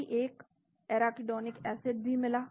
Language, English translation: Hindi, Just got an arachidonic acid also